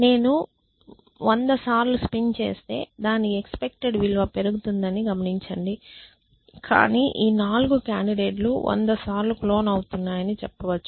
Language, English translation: Telugu, Notice that if I want to spin it 100 times its value would expected value would go up, but that what amount to saying that these 4 candidates are being clone 100 times